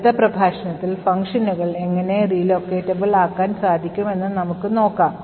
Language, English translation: Malayalam, In the next lecture we will see how functions are made relocatable